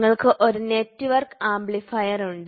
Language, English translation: Malayalam, So, then you have a network amplifier